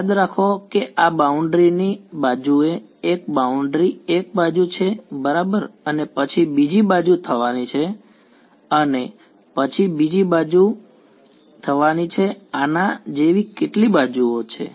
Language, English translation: Gujarati, A what remember this is one boundary one edge along the boundary right and then there is going to be another edge and then there is going to be another edge like this there are how many such edges